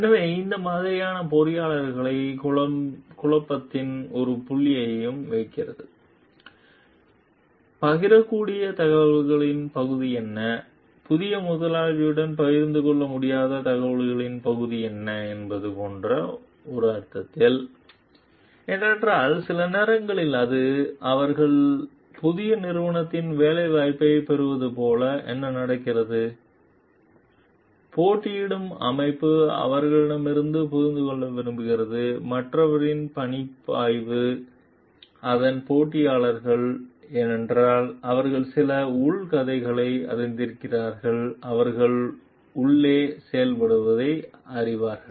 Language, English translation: Tamil, So, that like puts the engineer and a point of dilemma, in the sense like what is the part of the information that could be shared and what is the part of the information that could not be shared with the new employer, because sometimes it, what happens like they are getting the employment in the new, new organization, the competing organization only to understand, because the competing organization wants to understand from them the workflow of the other, its competitors, because they have worked they know some inside stories, they know the inside functioning